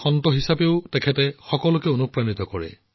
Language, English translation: Assamese, Even as a saint, she inspires us all